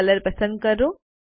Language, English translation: Gujarati, So lets select Color